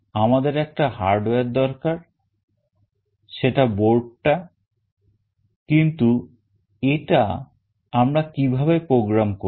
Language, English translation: Bengali, We need a hardware that is the board, but how do we program it